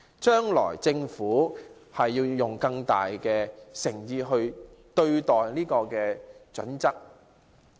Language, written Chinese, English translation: Cantonese, 將來政府要拿出更大誠意來對待《規劃標準》。, The Government should show greater sincerity in dealing with HKPSG in the future